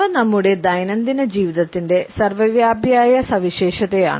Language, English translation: Malayalam, They are in ubiquitous feature of our everyday life